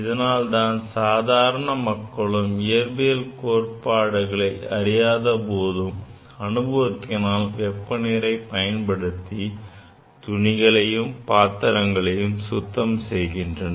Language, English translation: Tamil, So, that is why, from experience, without knowing this physics, from experience people use the hot water or warm water for washing the cloths, for washing the utensils, right